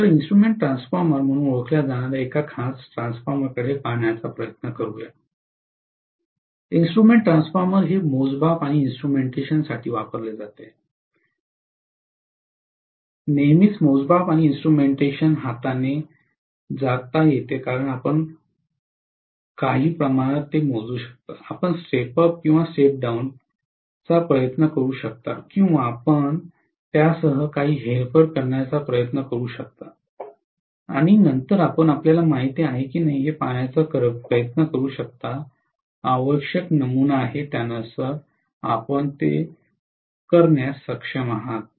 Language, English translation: Marathi, So let us try to look at one of the special transformers which is known as instrument transformer, the name instrument transformer comes from the fact that this is being used for measurement and instrumentation, invariably measurement and instrumentation go hand in hand, because you may measure something, you may try to step up or step down, you may try to do some manipulation with it, and then you may try to ultimately see whether you know, you are able to follow whatever is the required pattern